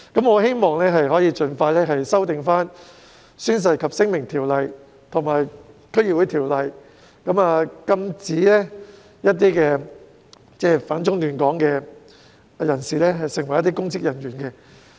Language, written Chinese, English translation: Cantonese, 我希望當局可以盡快修訂《宣誓及聲明條例》和《區議會條例》，禁止反中亂港人士出任公職人員。, I hope the authorities can expeditiously amend ODO and also the District Councils Ordinance DCO so as to prohibit anyone who oppose China and seek to stir up trouble in Hong Kong from holding public offices